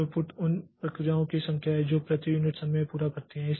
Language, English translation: Hindi, So, throughput is the number of processes that complete per unit time